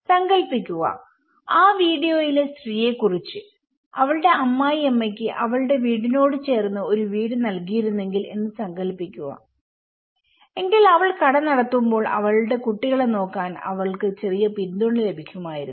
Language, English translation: Malayalam, Just imagine, of the lady in that video imagine if her in laws was given a house next to her house she would have got little support to look after her kids when she was running the shop